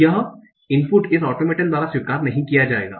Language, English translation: Hindi, So this input will not be accepted by this automator